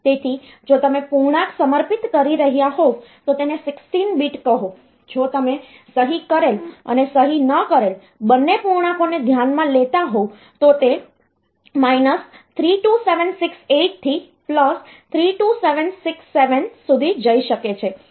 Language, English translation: Gujarati, So, integer if you are dedicating say 16 bit to it, if you are considering both signed and unsigned integers then it can go from 32768 to +32767